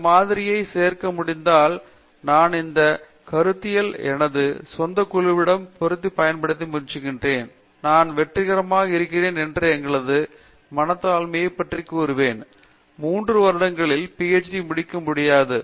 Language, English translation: Tamil, If this model could be added, I do not think this is idealistic I have been trying to apply this to my own group and I would say in our humility that we have been successful, maybe the time does’nt meet the stiff deadlines we don’t get a PhD in 3 years or something like that